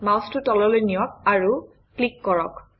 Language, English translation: Assamese, Move the mouse to the bottom and click